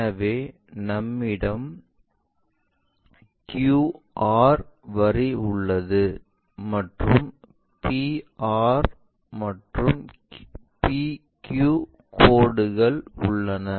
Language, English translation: Tamil, So, we have a QR line which goes through that we have a P R line and we have a PQ line